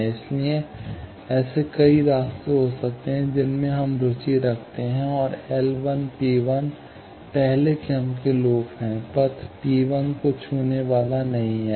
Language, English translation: Hindi, So, there can be several paths in which we are interested, and L 1 P 1 is first order loop not touching path P 1